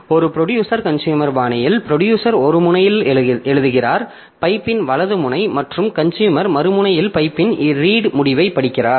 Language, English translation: Tamil, So, in a producer consumer style,, so producer writes to one end the right end of the pipe and the consumer reads from the other end the read end of the pipe